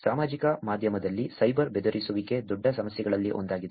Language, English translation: Kannada, Cyber bullying is one of the big problems on social media also